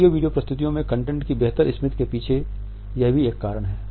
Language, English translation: Hindi, This is also the reason behind a better retention of content in audio video presentations